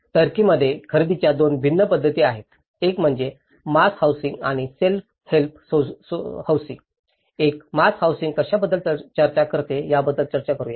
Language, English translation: Marathi, In turkey, there are 2 different methods of procurement; one is mass housing and the self help housing, let’s discuss about what a mass housing talks about